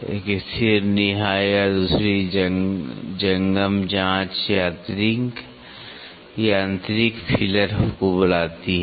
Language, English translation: Hindi, One fixed call the anvil and the other movable probe call the mechanical feeler